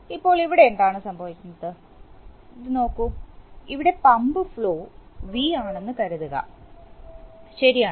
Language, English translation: Malayalam, So now what is happening here is, look at, look at this that, suppose the pump flow here is V, right